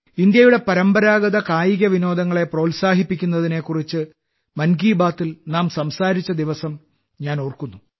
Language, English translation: Malayalam, I remember the day when we talked about encouraging traditional sports of India in 'Mann Ki Baat'